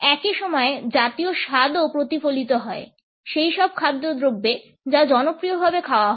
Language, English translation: Bengali, At the same time national tastes are also reflected in those food items which are popularly consumed